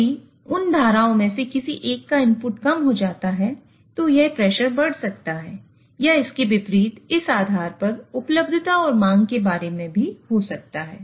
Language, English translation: Hindi, So if one of the input of one of those streams goes down, then this pressure might increase or vice versa depending on it's also about availability and demand